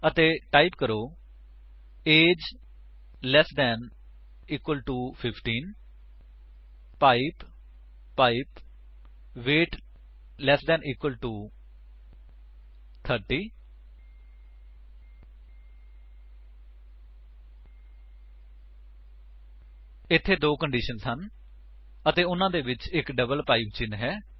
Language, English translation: Punjabi, And type: age less than or equal to 15 pipe pipe weight less than or equal to 30 There are two conditions and a double pipe symbol in between